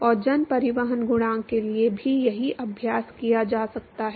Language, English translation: Hindi, And one could the same exercise for mass transport coefficient as well